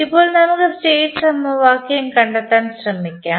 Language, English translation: Malayalam, Now, let us try to find out the state equation